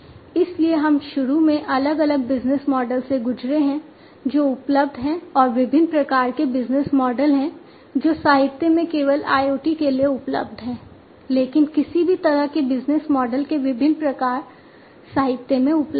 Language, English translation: Hindi, So, we have initially we have gone through the different business models, that are available and the different types of business model, that are available in the literature not just IoT, but any kind of business model the different types of it that are available in the literature